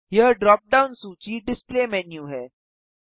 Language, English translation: Hindi, This dropdown list is the display menu